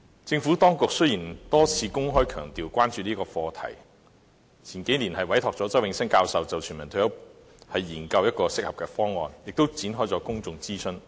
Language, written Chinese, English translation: Cantonese, 政府當局多次公開強調關注這個課題，數年前委託周永新教授就全民退休保障研究適合的方案，亦曾展開公眾諮詢。, The Administration has repeatedly emphasized in public its concern over this issue . Several years ago it commissioned Prof Nelson CHOW to conduct a study on developing a suitable universal retirement protection proposal . A public consultation was also conducted